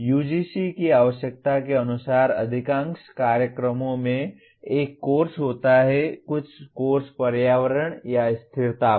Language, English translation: Hindi, As per the UGC requirement most of the programs do have a course on, some course on environment or sustainability